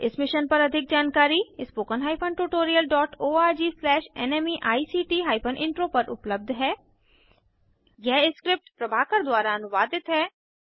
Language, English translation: Hindi, More information on this Mission is available at spoken HYPHEN tutorial DOT org SLASH NMEICT HYPHEN Intro This script has been contributed by TalentSprint